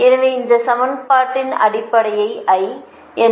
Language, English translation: Tamil, so we represent this equation basic in general